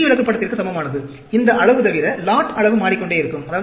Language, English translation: Tamil, This is same as C chart, except this size, lot size keeps changing